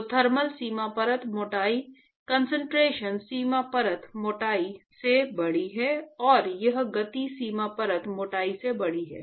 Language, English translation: Hindi, So, the thermal boundary layer thickness is actually larger than the concentration boundary layer thickness and that is larger than the momentum boundary layer thickness